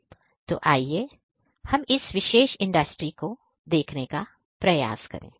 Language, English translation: Hindi, So, let us try to look at this particular thing